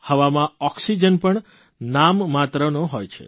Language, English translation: Gujarati, Oxygen in the air is also at a miniscule level